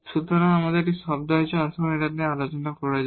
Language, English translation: Bengali, So, there is a term here, let us discuss